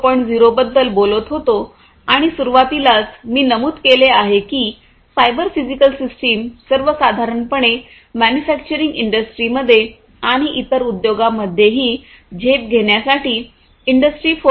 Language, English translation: Marathi, 0 and we have seen that at the outset, I mentioned that cyber physical systems are very attractive for use in the manufacturing industry and other industries also for moving towards, for leaping forward, towards achieving Industry 4